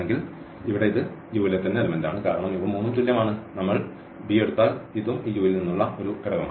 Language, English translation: Malayalam, So, here this belongs to U because all three are equal and if we take b this is also an element from this U